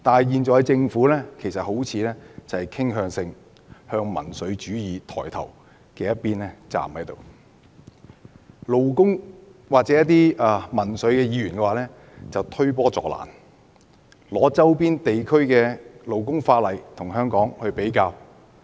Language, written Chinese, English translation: Cantonese, 可是，政府現時卻好像傾向靠民粹主義抬頭的一邊站，而勞工界或民粹議員則在推波助瀾，拿周邊地區的勞工法例與香港作比較。, However it seems that the Government has currently sided with the rising populism . Worse still Members from the labour sector or the populist have added fuel to the flame by comparing the labour laws of the surrounding regions with those of Hong Kong